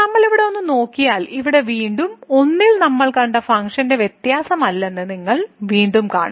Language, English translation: Malayalam, And if we take a look here at this floor, then you again see that at 1 here the function is not differentiable which we have just seen